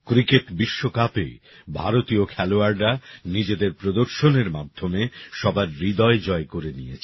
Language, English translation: Bengali, Indian players won everyone's heart with their performance in the Cricket World Cup